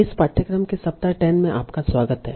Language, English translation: Hindi, So, hello everyone, welcome back to the week 10 of this course